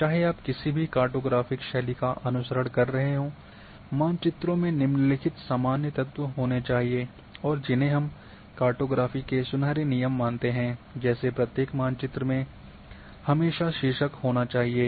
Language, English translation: Hindi, Regardless of whatever style one is following which cartographic style content,most maps should have the following common elements and which we put them as golden rules of cartography, the title each map should always have